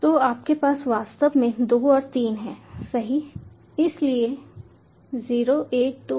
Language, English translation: Hindi, so you have actually two and three, right